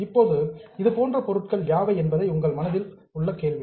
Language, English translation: Tamil, Now, the question in your mind will be which are such items